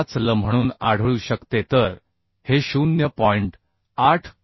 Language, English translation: Marathi, 85l so this will be 0